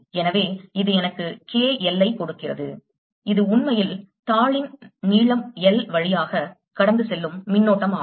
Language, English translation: Tamil, so this gives me k, l, which is the current, indeed passing through length l of the sheet